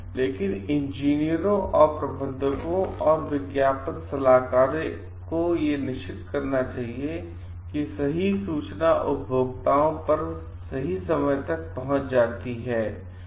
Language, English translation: Hindi, But engineers and managers and advertising consultants like should make it very sure like the right information reaches the consumers on time